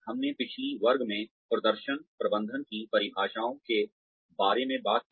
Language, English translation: Hindi, We talked about, the definitions of performance management, in the last class